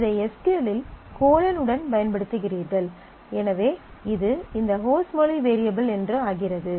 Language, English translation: Tamil, So, you are using it in SQL with colon credit amount which says that it is this host language variable